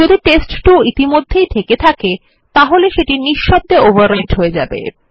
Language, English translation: Bengali, If test2 already existed then it would be overwritten silently